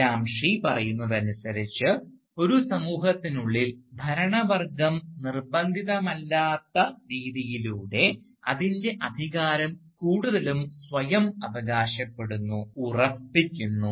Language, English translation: Malayalam, So, according to Gramsci, within a society, the ruling class mostly asserts itself, mostly asserts its authority, by this non coercive method